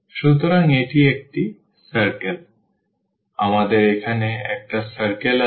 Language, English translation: Bengali, So, we have a circle here